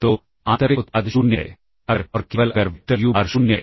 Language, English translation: Hindi, So, inner product is 0 if and only if the vector uBar is 0